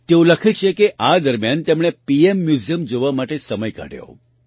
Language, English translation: Gujarati, She writes that during this, she took time out to visit the PM Museum